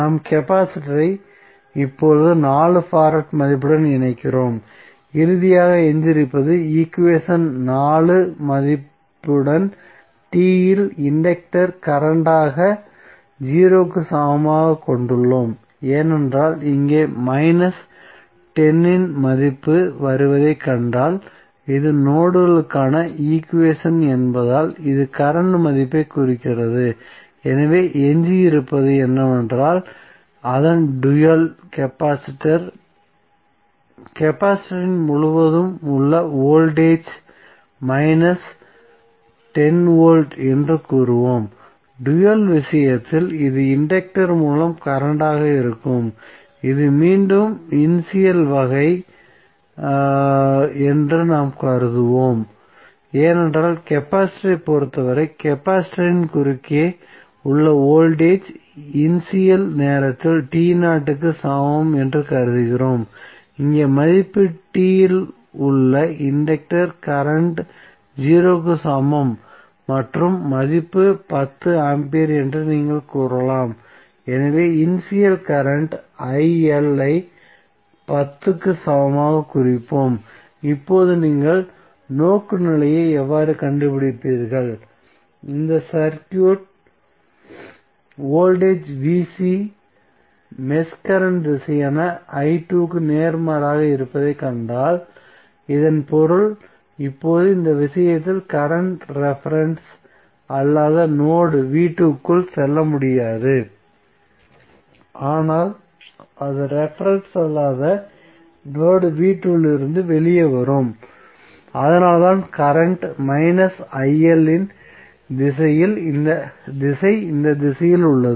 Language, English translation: Tamil, So we connect the capacitor also now, having value of 4 farad, finally what is left, we left with the equation 4 value that is inductor current at t is equal to 0, because here if you see the value of minus 10 is coming and since this is the equation for node and this is representing the current value so what is left is that we will say that the dual of that is the capacitor was the voltage across the capacitor was minus 10 volt, so in case of dual this would be current through the inductor, so we will assume that this is again the initial case because for capacitor also we assume that voltage across the capacitor is at initial time t is equal to 0, so here also you can say that the value is inductor current at t is equal to 0 and value is 10 ampere, so we will represent the initial current il at time t is equal to 0, now how you will, find out the orientation, again if you see this circuit voltage VC is opposite of the mesh current direction i2 so that means now in this case the current would not go inside the non reference node v2 but it will come out of the non reference node v2, so that is why the direction of current il is in this direction